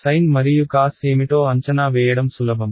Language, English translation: Telugu, sin and cos are easy to evaluate what is there right